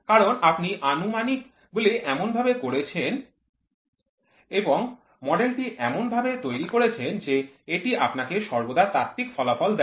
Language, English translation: Bengali, Because you have made assumptions and the model is made in such a fashion, such that it always leads you to the theoretical one